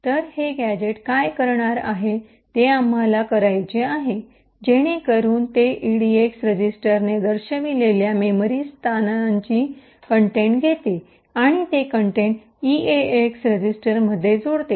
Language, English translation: Marathi, So, what this a gadget does is what we want to do, so it takes the contents of the memory location pointed to by the edx register and adds that contents into the eax register